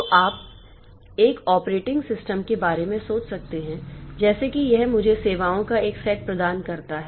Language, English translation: Hindi, So, like that, any operating system can be viewed as a set of services